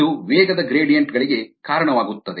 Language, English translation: Kannada, it causes velocity gradients